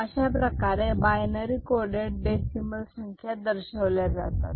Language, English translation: Marathi, If it is a binary coded decimal the corresponding decimal is 5 and 3